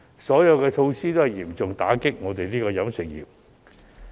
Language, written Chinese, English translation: Cantonese, 上述措施全都嚴重打擊飲食業。, All the measures mentioned above are killing the catering sector